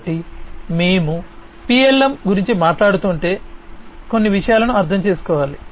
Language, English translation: Telugu, So, if we are talking about PLM, we need to understand few things